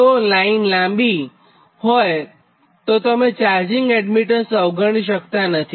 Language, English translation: Gujarati, so for long line, right, you cannot ignore the charging admittance